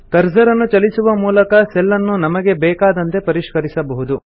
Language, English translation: Kannada, Now by navigating the cursor, you can edit the cell as per your requirement